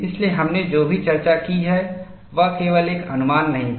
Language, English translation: Hindi, So, whatever we have discussed, was not just a conjecture